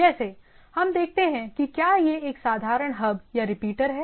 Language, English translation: Hindi, Like what we see that if it is a simple hub or a repeater